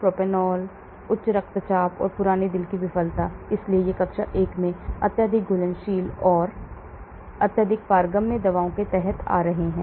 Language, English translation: Hindi, Propranolol, hypertension and chronic heart failure, so these are coming under class 1 highly soluble and highly permeable drug